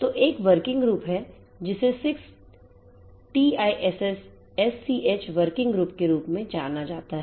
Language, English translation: Hindi, So, there is a working group which is known as the 6TiSCH working group 6TiSCH